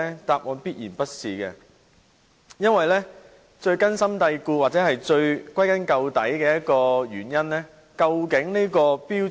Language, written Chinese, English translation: Cantonese, 答案必然不是，因為最根本的問題是政府如何看待《規劃標準》。, The answer is certainly in the negative because the root problem is how the Government treats HKPSG